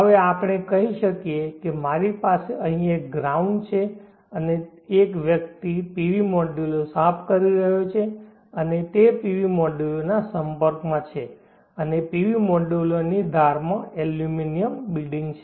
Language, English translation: Gujarati, Now let us say that I have a ground here, and a person is cleaning the PV modules and he's in contact with the PV modules, and the edges of the PV modules have aluminum beadings